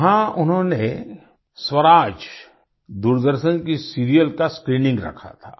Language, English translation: Hindi, There, they had organised the screening of 'Swaraj', the Doordarshan serial